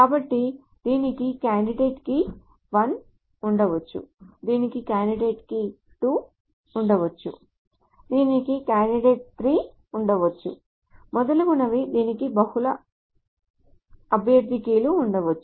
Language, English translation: Telugu, So it may have a candidate key 1, it may have a candidate key 2, it may have a candidate key 3, etc, etc, etc, it may have multiple candidate keys